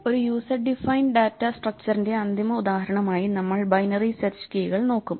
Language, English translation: Malayalam, As a final example of a user defined data structure we will look at binary search keys